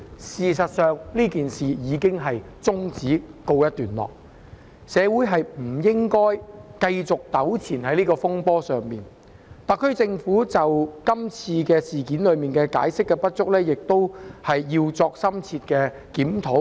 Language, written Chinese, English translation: Cantonese, 事實上，事件已終止並告一段落，社會不應繼續在這個風波上糾纏，特區政府在今次事件中解說工作不足，亦須作出深切檢討。, In fact this matter has come to a close so society should no longer be entangled in this turmoil . In this incident the SAR Government has not given adequate explanations so it also has to do some thorough soul - searching